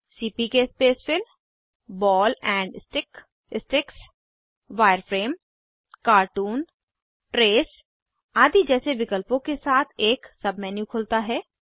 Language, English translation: Hindi, A sub menu opens with options like CPK Spacefill, Ball and Stick, Sticks, Wireframe, cartoon, trace, etc